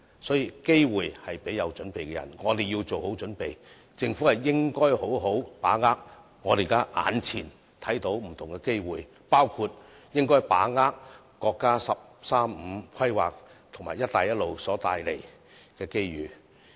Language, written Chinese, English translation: Cantonese, 所以，機會是留給有準備的人，我們要作好準備，政府應好好把握我們目前看到不同的機會，包括把握國家"十三五"規劃及"一帶一路"所帶來的機遇。, Hence opportunities are for the people who are prepared . We have to be prepared and the Government should properly grasp the various opportunities that we can see at present including the opportunities brought from the National 13 Five - Year Plan and the Belt and Road Initiative